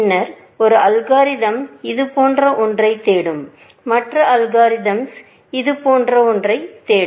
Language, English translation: Tamil, Then, one algorithm will search something like this, and the other algorithm will search something like this